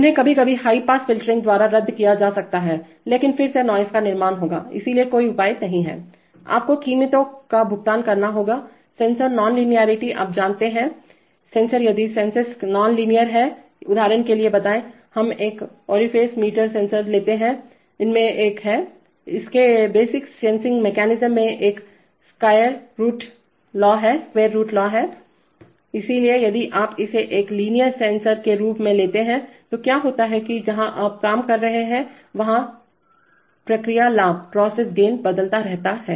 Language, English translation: Hindi, They can be sometimes cancelled by high pass filtering but again that will build up noise, so there is no escape, you have to pay prices, sensor non linearity, you know, sensors, if the senses are non linear, for example tell, let us take a orifice meter sensor, it has a, it has a square root law in its basic sensing mechanism, so as this, so if you take it as a linear sensor then what happens is that the process gain keeps changing depending on where you are operating